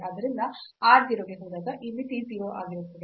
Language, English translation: Kannada, So, when r goes to 0 this limit will be 0